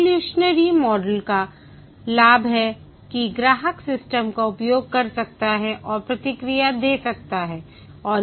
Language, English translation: Hindi, Evolutionary model has the advantage that the customer can use the system and give feedback